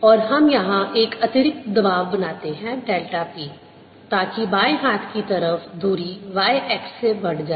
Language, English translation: Hindi, this is some pressure p, and we create a, an extra pressure here, delta p, so that the left inside moves by distance, y x